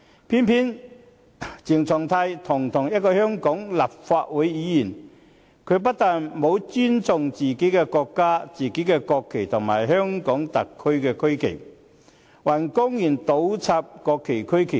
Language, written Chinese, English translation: Cantonese, 偏偏鄭松泰堂堂一位香港立法會議員，他不但沒有尊重自己國家的國旗和香港特區的區旗，還公然倒插國旗和區旗。, Of all people CHENG Chung - tai a dignified Member of the Legislative Council not only had he disrespected the national flag of his own country and the regional flag of the Hong Kong Special Administrative Region HKSAR he had publicly inverted the national flag and the regional flag